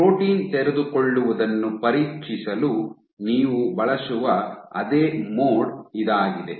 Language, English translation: Kannada, So, this is the same mode you also use for probing protein unfolding